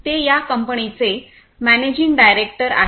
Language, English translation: Marathi, He is the managing director of this company